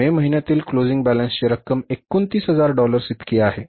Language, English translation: Marathi, Closing balance of the cash in the month of May is $29,000